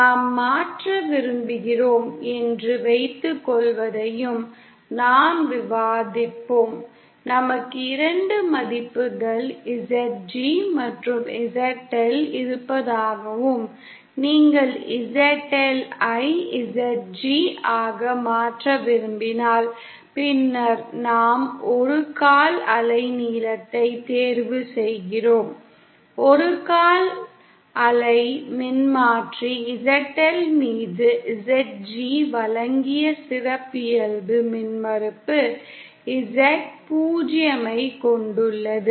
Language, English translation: Tamil, And then we also discussed that suppose we want to convert, say we, say we have two values ZG and ZL and if you want to convert ZL to ZG; then we choose a quarter wave length, quarter wave transformer having characteristic impedance Z 0 given by ZG upon ZL